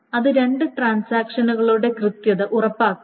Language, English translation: Malayalam, It must ensure the correctness of the two transactions